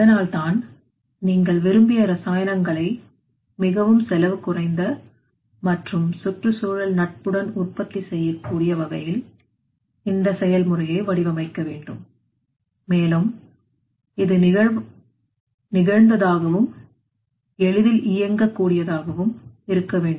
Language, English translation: Tamil, So that is why you have to design the process in such way that should enable the production of desired chemicals in the most cost effective and the environmentally friendly and also it should be flexible as well as easily operated